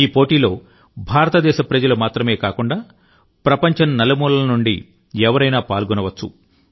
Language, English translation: Telugu, Not only Indians, but people from all over the world can participate in this competition